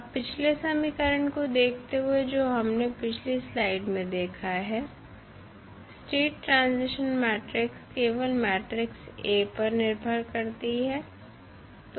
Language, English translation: Hindi, Now, view of previous equation which we have just see in the previous slide the state transition matrix is dependent only upon the matrix A